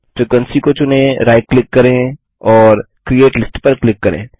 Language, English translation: Hindi, Select the frequency right click and say create list